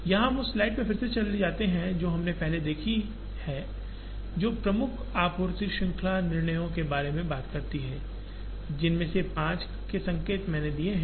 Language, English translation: Hindi, We just go back to one of the slides that we have seen earlier, which talks about the major supply chain decisions, which I have indicated five of them